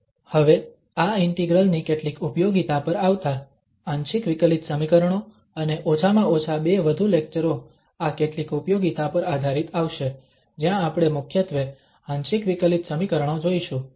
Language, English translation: Gujarati, Now coming to certain applications of this integral, partial differential equation and many, at least two more lectures will come based on these applications, where we will be considering mainly the partial differential equations